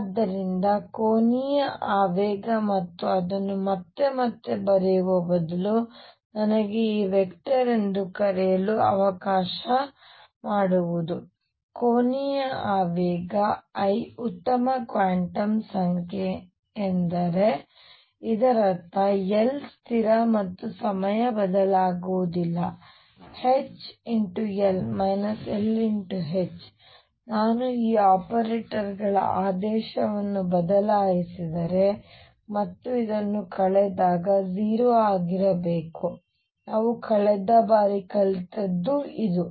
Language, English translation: Kannada, So, if angular momentum and rather than writing it again and again let me call this vector , angular momentum L is a good quantum number this means number one L is a constant and time it does not vary, number 2 H L minus L H if I change the order of these operators and subtract this should be 0 this is what we have learnt last time